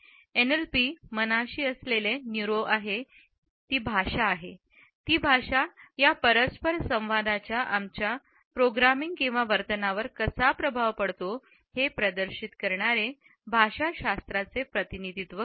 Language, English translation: Marathi, NLP delves into the relationship between the mind that is the neuro, the language which is the representation of linguistics offering how these interactions impact our programming or behaviour